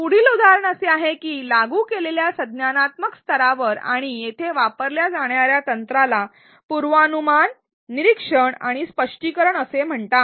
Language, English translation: Marathi, The next example is that at an apply cognitive level and the technique used here is called predict, observe and explain